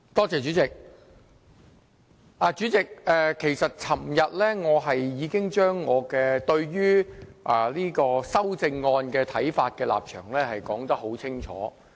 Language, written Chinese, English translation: Cantonese, 主席，我昨天已經把我對於修正案的看法、立場說得很清楚。, Chairman yesterday I already spelled out my views and stance on the amendments